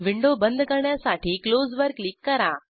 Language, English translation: Marathi, Let us click on Close button to close the window